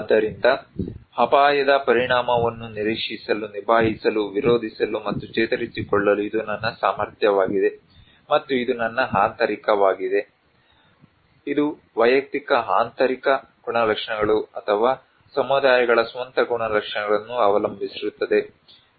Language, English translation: Kannada, So, this is my capacity to anticipate, cope with, resist and recover from the impact of hazard is the defining idea of coping, and this is my internal, this depends on individual internal characteristics or communities own characteristics